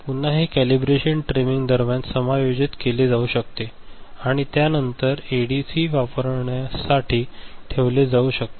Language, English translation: Marathi, Again this can be adjusted during calibration, trimming, and after that the ADC can be put to use ok